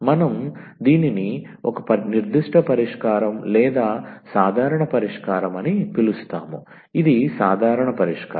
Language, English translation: Telugu, So, we call this as a particular solution or the general solution, this was the general solution